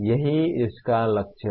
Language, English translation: Hindi, That is the goal of this